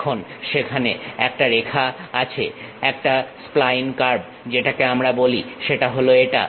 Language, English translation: Bengali, Now, there is a line a spine curve which we call that is this one